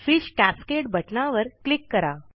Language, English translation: Marathi, Click the Fish Cascade button